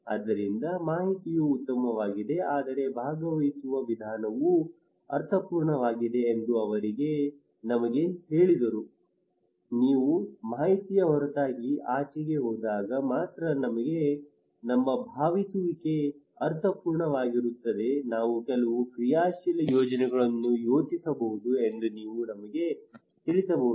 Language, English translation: Kannada, So they said to us that information is fine but a participatory approach is meaningful, our participation is meaningful only when apart from informations you go beyond that you can tell us that what we can do some plan actionable plan